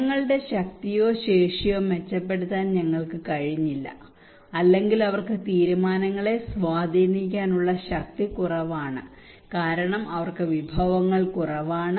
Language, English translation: Malayalam, And also we could not make improve the peoples power, capacity or also they have less power to influence the decisions because they have less resources